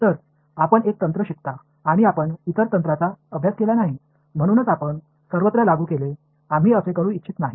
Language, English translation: Marathi, So, you learn one technique and you have not studied other techniques, so, you applied everywhere we do not want to do that